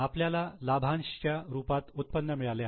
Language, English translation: Marathi, Dividend received dividend income